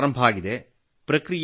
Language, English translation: Kannada, Yes, it has started now